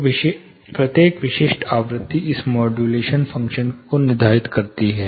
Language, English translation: Hindi, So, every specific frequency determines this modulation reduction function